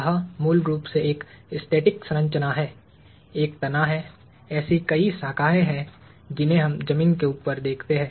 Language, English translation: Hindi, It is basically a static structure; there is a trunk; there are several branches that we see above ground